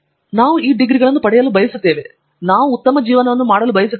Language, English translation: Kannada, And, it is we want to get these degrees, we want to make good livings